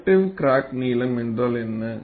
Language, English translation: Tamil, And what is the effective crack length